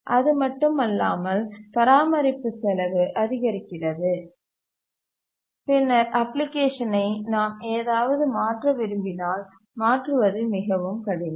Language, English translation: Tamil, And not only that, maintenance cost increases later even to change something, becomes very difficult to change the application